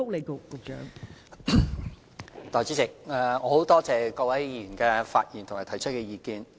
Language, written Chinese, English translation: Cantonese, 代理主席，我感謝各位議員發言和提出意見。, Deputy President I would like to thank Honourable Members for speaking and expressing their views